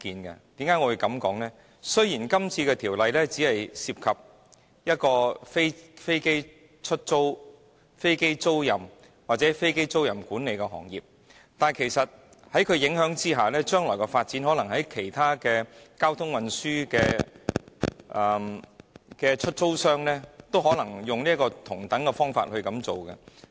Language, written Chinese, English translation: Cantonese, 那是因為今次的《條例草案》雖只涉及飛機租賃和飛機租賃管理的行業，但其實在條例影響之下，將來的發展可能是其他交通運輸的出租商，也會提出同樣的要求。, The reason is that although the Bill involves aircraft lessors and aircraft leasing managers only it may produce the effect of inducing lessors of other transport means to make similar requests as the situation develops in the future